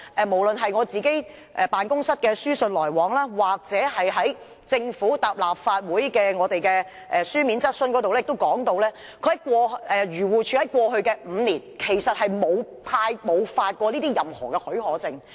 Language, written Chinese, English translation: Cantonese, 無論是我辦公室的書信來往，以至政府答覆立法會的書面質詢時亦提到，漁護署在過去5年沒有發出任何許可證。, According to the correspondence between my office and AFCD as well as the Governments reply to a written question raised in the Legislative Council no special permit has ever been issued by AFCD over the past five years